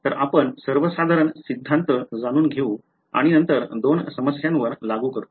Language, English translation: Marathi, So, you learn the general theory and then we applied to two problems ok